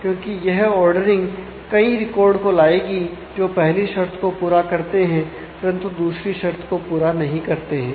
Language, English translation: Hindi, So, because of this ordering this will may fetch many records that satisfy the first one, but not the second condition